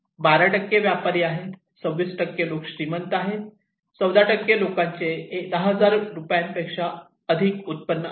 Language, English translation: Marathi, And traders; 12% are traders, some people are rich like 26% + 14%, they have more income than 10,000 rupees